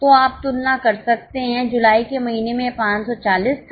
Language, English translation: Hindi, So, you can compare in the month of July it was 540